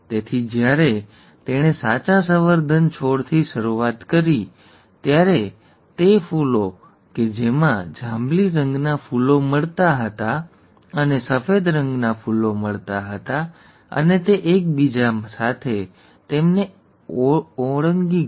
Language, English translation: Gujarati, So when he started out with true breeding plants, the ones that yielded purple colour flowers and the ones that yielded white , white colour flowers, and he crossed them with each other